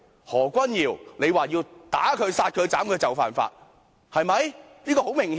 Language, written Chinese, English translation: Cantonese, 何君堯議員說要打他、殺他、斬他，就是犯法。, It is an offence for Dr Junius HO to suggest that we should kill and beat up these people